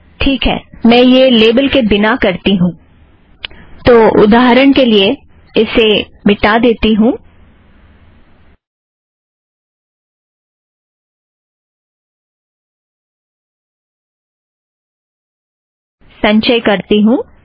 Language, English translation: Hindi, Okay, let me do this without a label, so for example, lets delete this, let me compile this